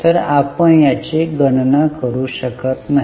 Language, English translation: Marathi, So, try to calculate it